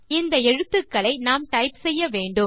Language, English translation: Tamil, You are required to type these letters